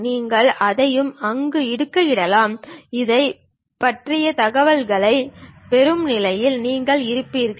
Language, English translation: Tamil, Anything you can really post it there and you will be in a position to really get the information about that